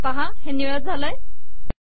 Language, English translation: Marathi, And see that this has become blue